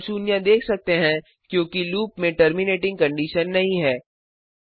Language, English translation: Hindi, We can see number of zeros, this is because the loop does not have the terminating condition